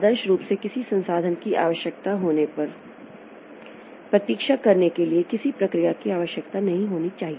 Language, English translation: Hindi, Ideally, no process should be needed to wait when it requires a resource